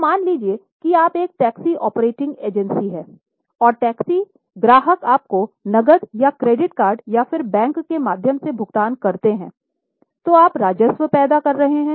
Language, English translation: Hindi, So, suppose you are a taxi operating agency and you provide taxi customers pay you either cash or through credit card or through bank, then you are generating revenue